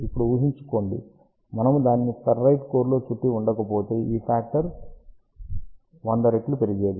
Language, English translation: Telugu, And now just imagine, if we had not wrapped it around of ferrite core, this number would have increased by a factor of 100